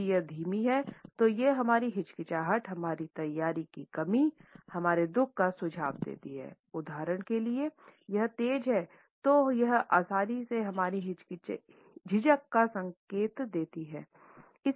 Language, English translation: Hindi, If it is slow then it suggest our hesitation, our lack of preparedness, our sorrow for instance, if it is fast it can easily indicate our hesitation